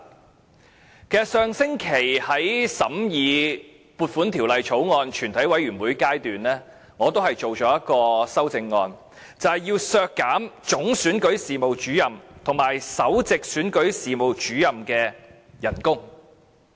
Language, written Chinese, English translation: Cantonese, 其實上星期審議《2017年撥款條例草案》的全體委員會審議階段，我也提出一項修正案，要求削減總選舉事務主任和首席選舉事務主任的薪酬。, In fact during the Committee stage of the Appropriation Bill 2017 last week I proposed an amendment to deduct the salaries of the Chief Electoral Officer and the Principal Electoral Officer